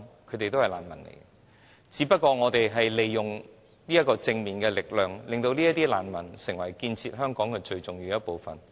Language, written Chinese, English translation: Cantonese, 這些人全是難民，我們只不過利用了正面力量，令這些難民成為建設香港最重要的一部分。, All these people were refugees . We have only made use of the positive power and turned these refugees to be the most important part in building up Hong Kong